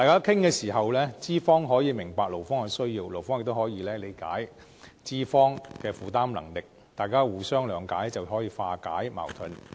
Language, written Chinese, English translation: Cantonese, 通過討論，資方可以明白勞方的需要，勞方亦可以理解資方的負擔能力，大家互相諒解，就可以化解矛盾。, Through discussions employers can understand the needs of employees while employees can have a better idea of employers affordability . In this way mutual understanding can be achieved to resolve conflicts